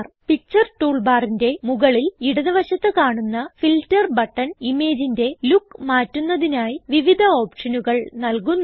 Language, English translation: Malayalam, The Filter button at the top left of the Picture toolbar gives several options to change the look of the image